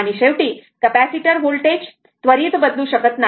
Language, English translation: Marathi, And at the end, capacitor voltage cannot change instantaneously